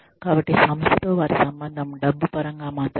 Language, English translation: Telugu, So, their connection with the organization, is in terms of money, only